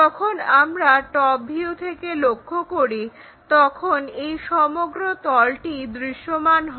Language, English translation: Bengali, When we are looking from top view this entire plane will be visible